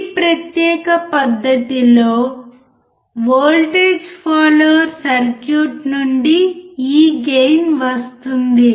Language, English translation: Telugu, This gain comes from the voltage follower circuit in this particular fashion